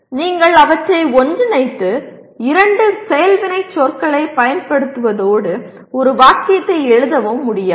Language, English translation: Tamil, You cannot combine them and write it as use two action verbs and write a single sentence